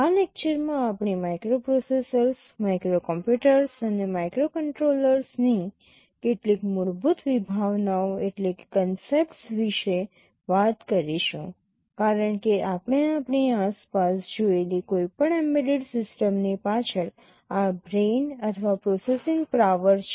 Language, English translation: Gujarati, In this lecture we shall be talking about some basic concepts of microprocessors, microcomputers and microcontrollers, because these are the brain or the processing power behind any embedded system that we see around us